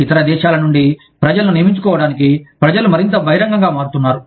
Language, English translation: Telugu, People are becoming more open, to hiring people, from other countries